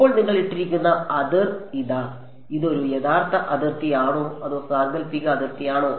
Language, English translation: Malayalam, Now this boundary that you have put over here it is; is it a real boundary or a hypothetical boundary